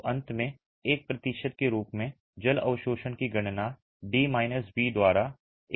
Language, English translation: Hindi, So, finally the water absorption as a percentage is calculated by D minus B by B into 100